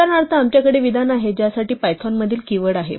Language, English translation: Marathi, For instance, we have the statement for which is the keyword in python